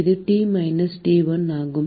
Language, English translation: Tamil, And this is T minus T1